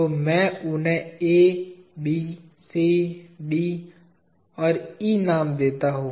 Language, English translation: Hindi, So, let me name them as A, B, C, D and E